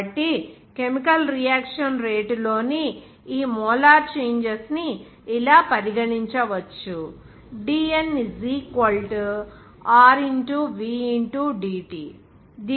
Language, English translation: Telugu, So, these molar changes in chemical reaction rate, which can be regarded as like this